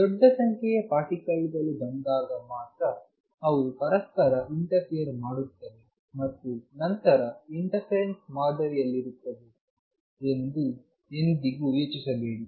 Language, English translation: Kannada, So, never think that it is only when large number particles come they interfere with each other and then the form in interference pattern